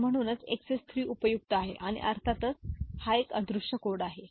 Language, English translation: Marathi, So, this is why XS 3 is useful and of course, it is an unweighted code